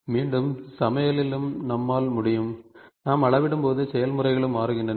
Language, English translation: Tamil, And again as as in manufacturing, in cooking also we can, when we scale up the processes also change